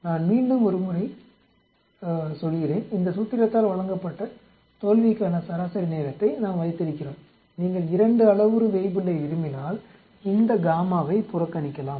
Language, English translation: Tamil, Let me once more repeat, we have the mean time to failure is given by this formula we can neglect this gamma if you want to have a 2 parameter Weibull